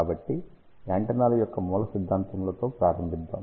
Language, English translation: Telugu, So, let us start with the fundamentals of the antennas